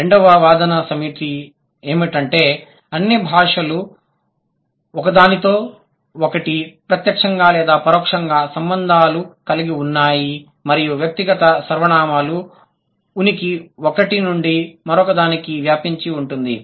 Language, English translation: Telugu, The second set of argument is all languages have been indirect or indirect contact with each other and the presence of the personal pronouns has spread from one to the other